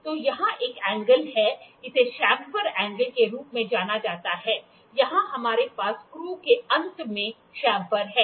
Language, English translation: Hindi, So, there is an angle here, this is known as chamfer angle at the end of the screw here we have the chamfer